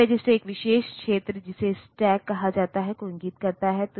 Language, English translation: Hindi, And this memory this register points to is called a special area called stack